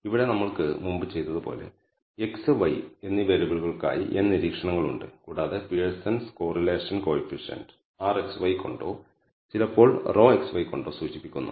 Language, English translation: Malayalam, Here as we started with you have n observations for the variables x and y and we de ne the Pearson’s correlation coefficient denoted by r xy or sometimes denoted by rho xy by this quantity defined